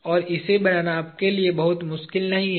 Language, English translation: Hindi, And, this is not very difficult for you to make